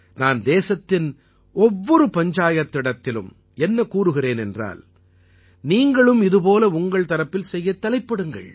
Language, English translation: Tamil, I appeal that every panchayat of the country should also think of doing something like this in their respective villages